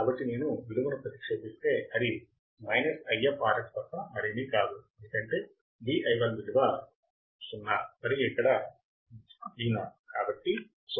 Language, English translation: Telugu, So, if I substitute the value and 0 minus Vo, is nothing but minus If by R f because Vi1 is what – 0, and here is Vo